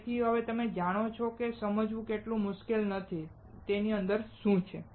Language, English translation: Gujarati, So, now, you know it is not so much difficult to understand; what is within it